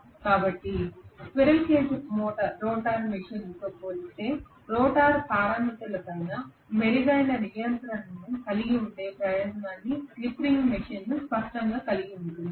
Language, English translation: Telugu, So slip ring machine clearly has the advantage of having a better control over the rotor parameters as compared to the squirrel cage rotor machine